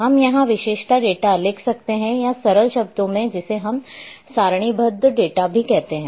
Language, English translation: Hindi, We can also write here attribute data or in simple terms we also say tabular data